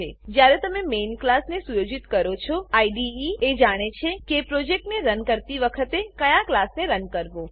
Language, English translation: Gujarati, When you set the Main class, the IDE knows which class to run when you run the project